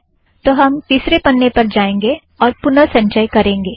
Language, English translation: Hindi, Now we go to third page, if I compile it once again